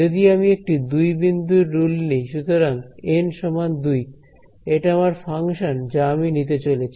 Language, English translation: Bengali, So, if I chose a 2 point rule right so, N is equal to 2 this is my, the function that I am going to take